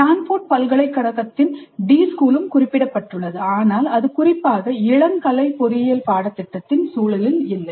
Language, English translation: Tamil, The D school of Stanford University is also mentioned, but that was not specifically in the context of undergraduate engineering curricula